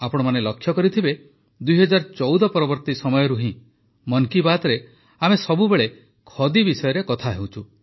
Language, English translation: Odia, You must have noticed that year 2014 onwards, we often touch upon Khadi in Mann ki Baat